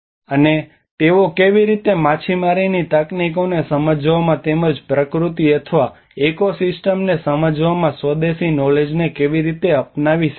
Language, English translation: Gujarati, And how they can adopt the indigenous knowledge in understanding the fishing techniques and as well as understanding the nature or the ecosystems